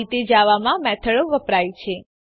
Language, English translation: Gujarati, This is how methods are used in java